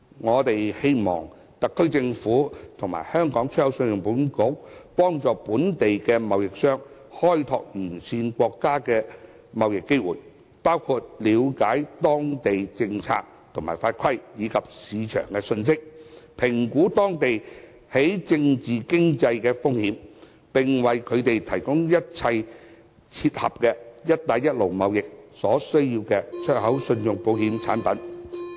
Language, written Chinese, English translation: Cantonese, 我們希望特區政府和信保局幫助本地貿易商開拓沿線國家的貿易機會，包括了解當地政策和法規，以及市場的信息，評估當地政治和經濟風險，並為他們提供一切切合"一帶一路"貿易所需的出口信用保險產品。, We hope that the SAR Government and ECIC can help Hong Kong traders to explore trade opportunities presented by One Belt One Road in areas including knowledge of polices regulations and market information as well as assessing political and economic risks in the destinations as well as providing them with products relating to export credit insurance necessary for trade with One Belt One Road countries